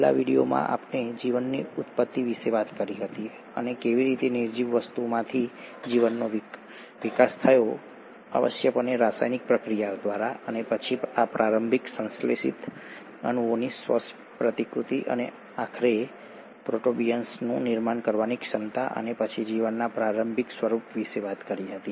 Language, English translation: Gujarati, In the last video we spoke about origin of life and how life evolved from non living things, essentially through chemical reactions, and then the ability of these early synthesized molecules to self replicate and eventually formation of protobionts and then the early form of life